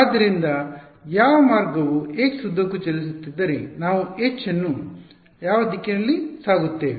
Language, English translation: Kannada, So, which way if the wave is travelling along x, we will take H to be along which direction